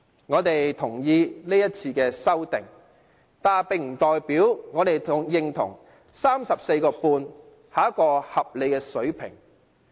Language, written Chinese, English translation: Cantonese, 我們贊同今次的修訂，但不代表我們認同 34.5 元是一個合理的水平。, Although we approve of this amendment we do not agree that 34.5 is a reasonable level